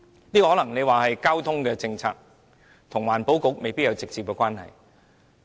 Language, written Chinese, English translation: Cantonese, 你可能說這是交通政策，跟環境局未必有直接關係。, You may say it is a transport issue which is not directly related to the Environment Bureau